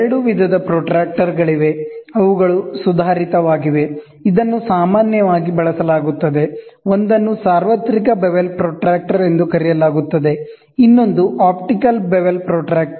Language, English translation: Kannada, There are two types of protractors, which are advanced, which is generally used; one is called as universal bevel protractor, the other one is optical bevel protractor